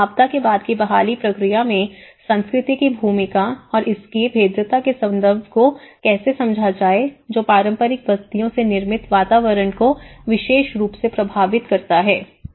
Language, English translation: Hindi, How to understand the role of culture in the post disaster recovery process and its relation to the vulnerability, especially, in particular to the built environment of affected traditional settlements